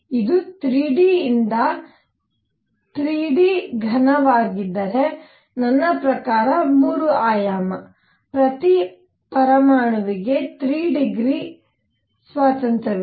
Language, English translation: Kannada, So, if this is 3 d solid by 3 d, I mean 3 dimensional, each atom has 3 degrees of freedom